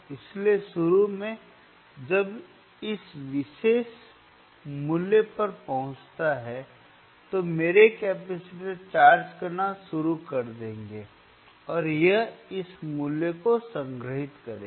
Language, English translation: Hindi, sSo initially, when it reaches to this particular value, right my capacitor will start charging and it will store this value